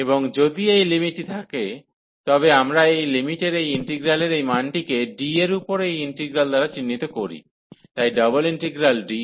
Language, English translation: Bengali, And if this limit exist, then we denote this integral this value of this limit by this integral over D, so the double integral D